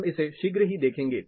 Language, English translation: Hindi, We look at it shortly